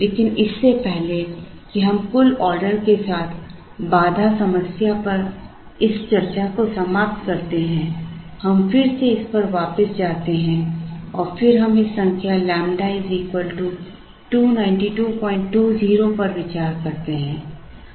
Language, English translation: Hindi, But, before we wind up this discussion on the constraint problem with total number of orders, we again go back to this and then we look at this number of lambda equal to 292